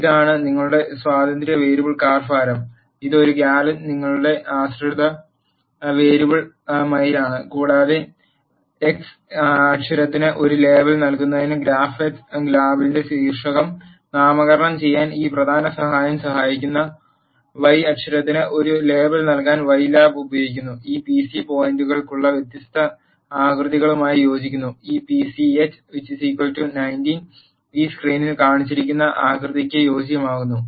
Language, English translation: Malayalam, This is your independent variable car weight, this is your dependent variable miles per gallon and this main helps in naming the title of the graph x lab to give a label for x axis, y lab is used to give a label for y axis and the this pch corresponds to different shapes for points, and this pch is equal to 19 corresponds to the shape that is shown in this screen